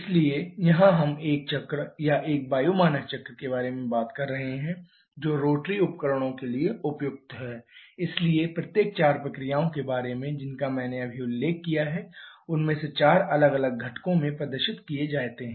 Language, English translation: Hindi, So, here we are talking about a cycle or an air standard cycle which is suitable for rotary devices therefore each of the 4 processes that I just mentioned all of them are performed in 4 different components